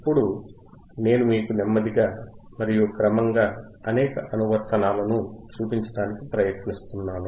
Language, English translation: Telugu, Now guys you see slowly and gradually I am trying to show you several applications